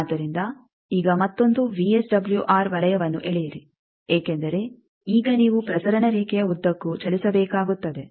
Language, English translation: Kannada, So, now, draw another VSWR circle because now you will have to move along the transmission line